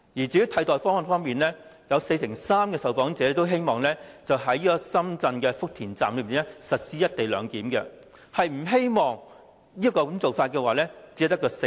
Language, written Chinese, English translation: Cantonese, 在替代方案方面，四成三受訪者希望在深圳福田站實施"一地兩檢"；不支持這個做法的只有四成。, Regarding alternative options 43 % of respondents hoped that the co - location arrangement would be implemented in the Futian Station in Shenzhen while only 40 % opposed this idea